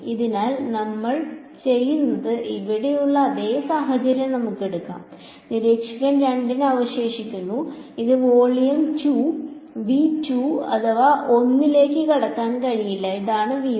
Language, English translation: Malayalam, So, what we do is, let us take the same situation over here observer 2 remains over here cannot walk into volume 1 this is V 2 and this is V 1